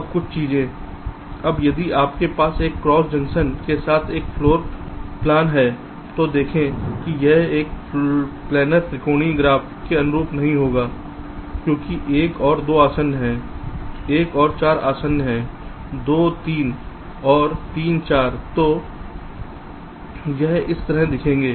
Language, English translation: Hindi, if you have a floor plan with a cross junction see, this will not correspond to a planer triangular graph because one and two, an adjacent one and four are adjacent, two, three and three, four